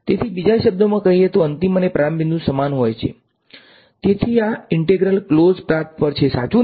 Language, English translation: Gujarati, So, in other words, the final and the starting point are the same, then this is true right the integral over close paths